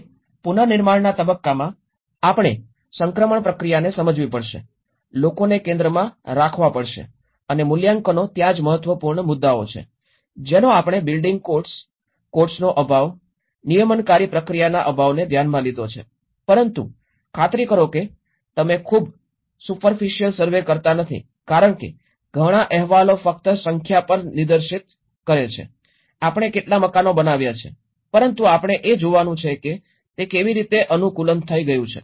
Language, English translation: Gujarati, And in the reconstruction phase we have to understand the transition process, understand the transition process, putting people in the centre and assessments there are important points which we touched upon the building codes, lack of codes, lack of the regulatory process but make sure that you donít do a very superficial survey because many of the reports only point on the numbers, how many houses we have built but we have to see how it has been adapted